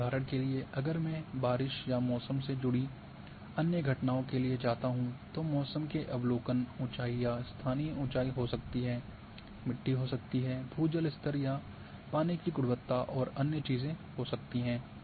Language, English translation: Hindi, And for example, if I am going for rainfall or other phenomenon related with weather then weather readings may be heights or spot heights may be soil may be ground water levels or water quality and other things